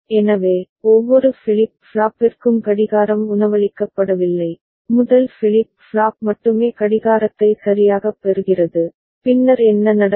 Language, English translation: Tamil, So, the clock is not fed to each of the flip flop, only the first flip flop is getting the clock right, then what will happen